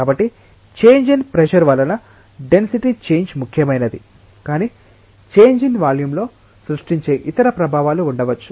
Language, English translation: Telugu, So, the density change due to change in pressure is significant, but there could be other effects that are creating the change in the volume